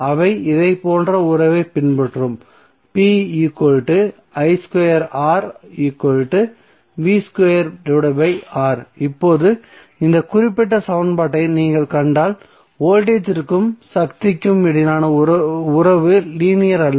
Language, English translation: Tamil, So now if you see this particular equation the relationship between voltage and power is not linear